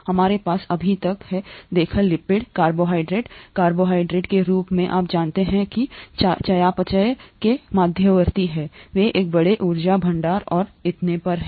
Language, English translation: Hindi, We have so far seen lipids, carbohydrates, carbohydrates as you know are intermediates in metabolism, they are a large energy stores and so on so forth